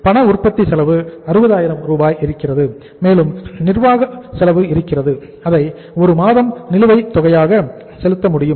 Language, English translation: Tamil, Cash manufacturing cost is available as 60,000 and then we have the administrative expenses which we also can pay at the arrears of 1 month